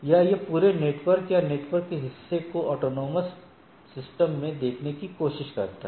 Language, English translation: Hindi, Or, it tries to look at the whole network or the portion of the network in the autonomous systems